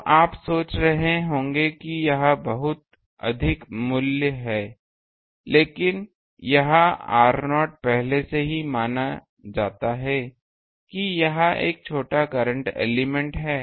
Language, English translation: Hindi, So, you will be thinking that this is very high value, but this r naught [laughter] is already we assumed it is a small current element